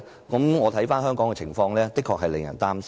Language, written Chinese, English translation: Cantonese, 觀乎香港的情況，的確令人擔心。, The situation in Hong Kong is worrying indeed